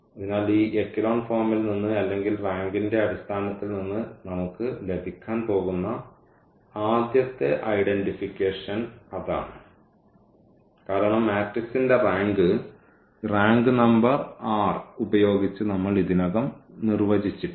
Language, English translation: Malayalam, So, that is the first identification we are going to have from this echelon form or in terms of the rank we can define now because we have defined already the rank of the matrix by this number r